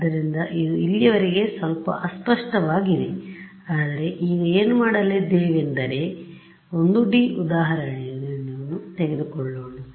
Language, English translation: Kannada, So, it has been a little vague so far, but now what we will do is drive home the point let us take a 1D example so